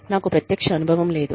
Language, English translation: Telugu, I do not have, firsthand experience